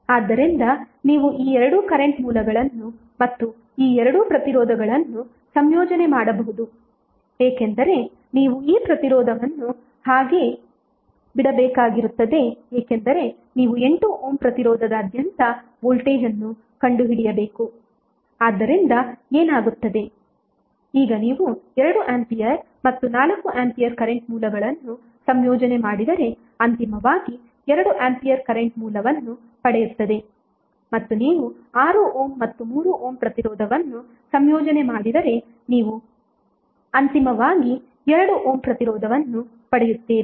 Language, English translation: Kannada, So you can club these two current sources and these two resistances while you have to leave this resistance intact because you need to find out the voltage across 8 ohm resistance so, what will happen, now if you club 2 ampere and 4 ampere current sources you will finally get 2 ampere current source and if you club 6 ohm and 3 ohm resistance you will get finally 2 ohm resistance